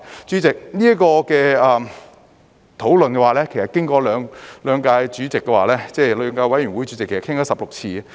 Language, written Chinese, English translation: Cantonese, 主席，這方面的討論其實經過了兩個法案委員會，討論了16次。, President in fact we have discussed this issue 16 times in two Bill Committees